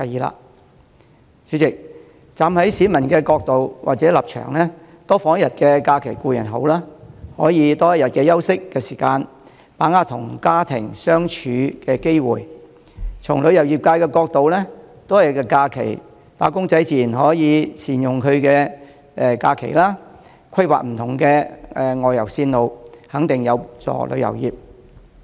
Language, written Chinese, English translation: Cantonese, 代理主席，站在市民的角度或立場，多放一天假期固然好，可以有多一天的休息時間，把握與家人相處的機會；從旅遊業的角度，多一天假期，"打工仔"自然可以善用假期，規劃不同的外遊路線，肯定有助旅遊業。, Deputy President from the perspective or position of the people having an additional holiday is certainly good as they can have one more rest day and can spend more time with their families . From the perspective of the travel industry wage earners will naturally make use of the additional holiday and plan for various outbound tours which in turn will benefit the industry